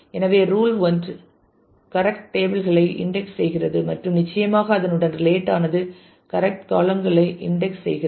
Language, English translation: Tamil, So, rule 1 index the correct tables and certainly related to that is index the correct columns